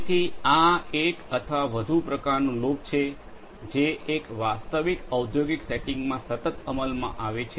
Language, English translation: Gujarati, So, this is more or less kind of a loop that continuously gets executed in a real industrial setting